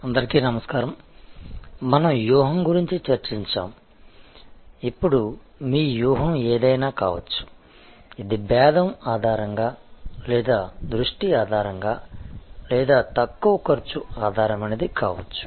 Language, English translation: Telugu, Hello, we were discussing about strategy, now whatever maybe your strategy, whether it is differentiation based or it is focus based or low cost based